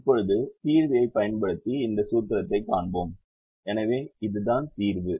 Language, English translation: Tamil, now will show this formulation using the solver and do that